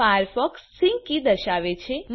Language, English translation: Gujarati, Firefox displays the sync key